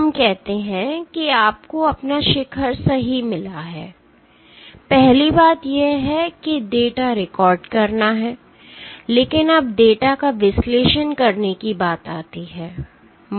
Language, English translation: Hindi, Let us say, find you got your peak right first thing is to record the data, but now it comes to analyzing the data